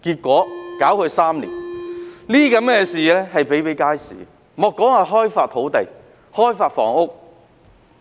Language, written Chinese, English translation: Cantonese, 這些情況比比皆是，莫說開發土地、開發房屋。, Such cases are very common and are also found in land and housing development